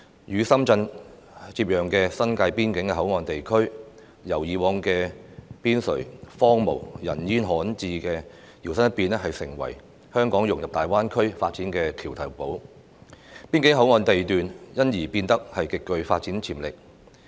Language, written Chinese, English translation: Cantonese, 與深圳接壤的新界邊境口岸地區，由以往的邊陲、荒蕪、人煙罕至，搖身一變成為香港融入大灣區發展的橋頭堡，邊境口岸地段因而變得極具發展潛力。, The border area in the New Territories adjoining Shenzhen has transformed from a previously desolate and inaccessible area on the periphery into a bridgehead for Hong Kongs integration into the development of GBA and become an area with superb development potential